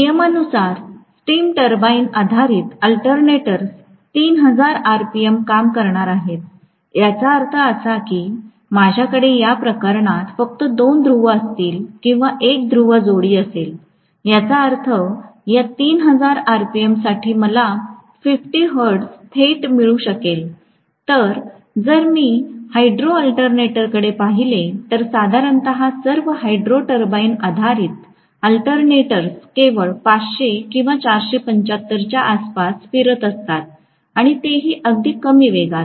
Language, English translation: Marathi, As a rule, the steam turbine based alternators are going to work at 3000 rpm, which means I will have only two poles in this case or one pole pair, only one pole pair I am going to have, which means for this 3000 rpm I will be able to get 50 hertz directly, whereas if I look at the hydro alternator, generally all the hydro turbine based alternators are going to rotate only around 500 or 475 and so on, very low speed, which means if I want to get 50 hertz I necessarily need to have more number of poles